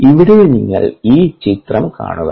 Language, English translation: Malayalam, here you see this figure